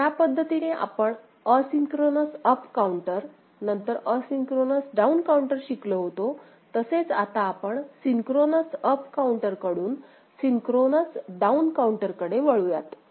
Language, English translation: Marathi, Now, let us look at synchronous down counter ok, like we had asynchronous down counter following asynchronous up counter